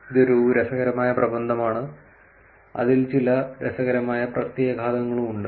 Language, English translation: Malayalam, This is an interesting paper which has some interesting implications also